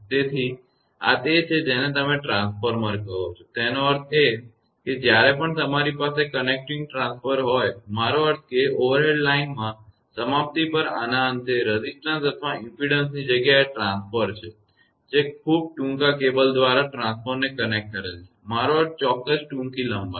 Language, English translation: Gujarati, So, this is your what you call that transformer when; that means, whenever you have a connecting a transformer; I mean a termination at the end of this instead of resistance or impedance is transformer that in overhead line, connect the transformer through a very short cable; I mean certain short length